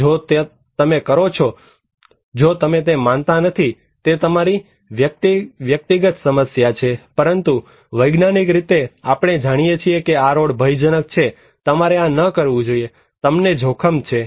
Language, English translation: Gujarati, And if you do it, if you do not believe it, this is your personal problem but, scientifically we know that this road is danger, you should not do this so, you are at risk